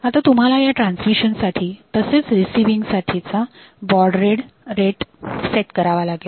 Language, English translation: Marathi, So, you have to set the baud rate for this transmission and the baud rate for receiving